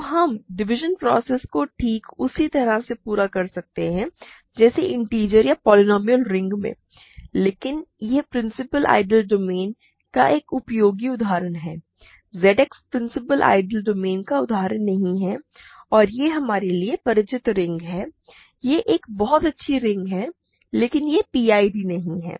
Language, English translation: Hindi, So, we can carry out the division process exactly as in the case of integers or in the polynomial ring, but this is a useful example of principal ideal domain; what is not an example of principal domain principal ideal domain and it is this some familiar ring to us it is a very nice ring otherwise, but this is not a PID